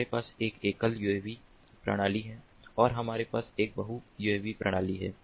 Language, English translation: Hindi, in uav network we have a single uav system and we have a multi uav system